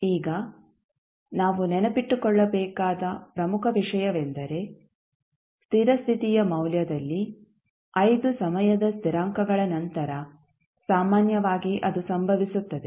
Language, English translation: Kannada, Now, the important thing which we have to remember is that at steady state value that typically occurs after 5 time constants